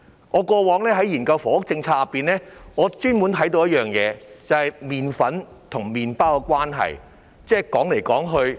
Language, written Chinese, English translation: Cantonese, 我過往在研究房屋政策時，特別留意到麵粉與麵包的關係。, When I studied housing policy in the past I paid particular attention to the causal relationship between flour price and bread price